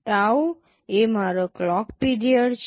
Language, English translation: Gujarati, tau is my clock period